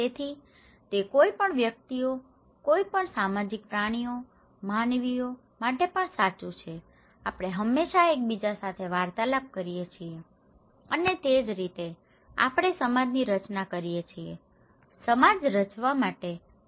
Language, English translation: Gujarati, So that is also true for any individuals, any social animals, human beings, we always seek interactions with each other and thatís how we form society so, interaction is so very important to form necessary to form a society, okay